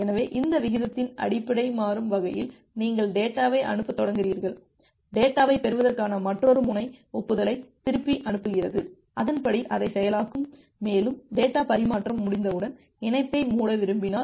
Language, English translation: Tamil, So, dynamically based on this rate, you start sending the data, other end to receive the data send back the acknowledgement and accordingly will process it and once you want to close the connection the data transmission is over